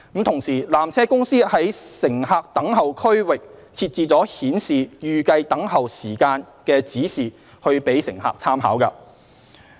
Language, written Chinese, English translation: Cantonese, 同時，纜車公司在乘客等候區域設置了顯示預計候車時間的指示以供乘客參考。, At the same time signage indicating the estimated waiting time are put along the queue for visitors information